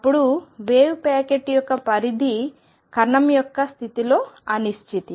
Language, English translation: Telugu, Then the extent of wave packet is the uncertainty in the position of the particle